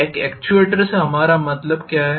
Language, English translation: Hindi, What do we mean by an actuator